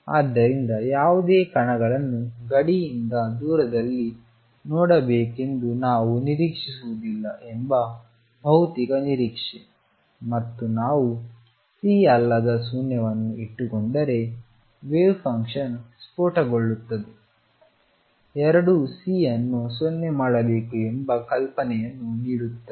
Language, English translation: Kannada, So, physical expectation that we do not expect to see any particles far away from the boundary and also if we keep C non zero the wave function blows up both give you idea that C should be made 0